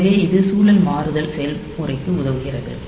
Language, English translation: Tamil, So, this helps in the context switching process